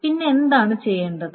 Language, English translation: Malayalam, Now what needs to be done then